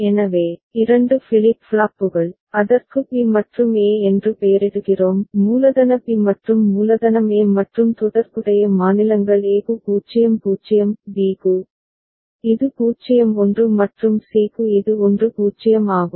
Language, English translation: Tamil, So, 2 flip flops, we name it B and A; capital B and capital A and corresponding states are 0 0 for a; for b, it is 0 1 and for c, it is 1 0